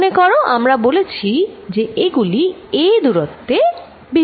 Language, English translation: Bengali, Remember what we said, we said these are displaced by distance a